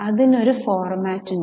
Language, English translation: Malayalam, It's a very simple format